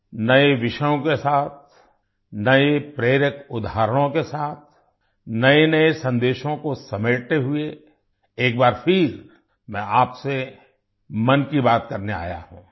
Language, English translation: Hindi, With new topics, with new inspirational examples, gathering new messages, I have come once again to express 'Mann Ki Baat' with you